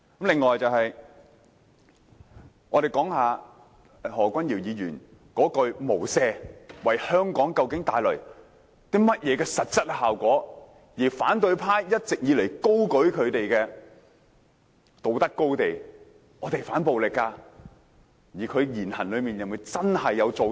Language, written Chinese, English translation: Cantonese, 此外，我想談談何君堯議員那句"無赦"，究竟為香港帶來甚麼實質效果，而反對派一直以來站在道德高地，高聲說反暴力，但在實際行為上又是否真能做到。, Furthermore I would like to talk about the phase without mercy used by Dr Junius HO . What substantial effects will it bring about to Hong Kong? . The opposition camp has all along stood on a moral highland shouting anti - violence but could they really do so in terms of their actual behaviors?